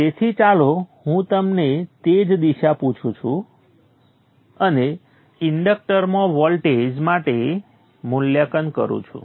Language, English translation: Gujarati, So let me assume the same direction and evaluate for the voltage across the inductor